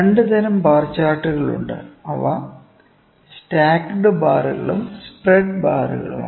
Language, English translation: Malayalam, And we can have 2 types of bar charts, what those are stacked bars and spread bars; and spread bars, ok